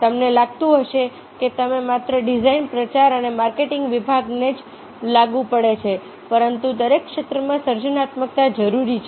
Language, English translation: Gujarati, no, you may think that it is only applicable to design, publicity and marketing department, but creativity is required in every sphere